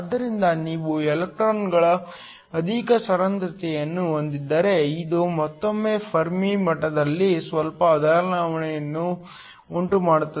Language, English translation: Kannada, So, If you have an excess concentration of electrons, this will again cause a slight shift in the Fermi level